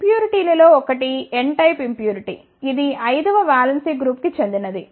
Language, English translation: Telugu, The one of the impurity is the n type of impurity which belongs to valence 5 groups